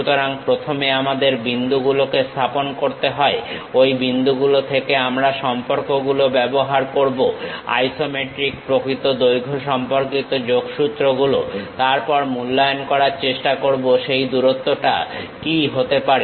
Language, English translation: Bengali, So, first we have to locate the points, from those points we use the relations isometric true length kind of connections; then try to evaluate what might be that length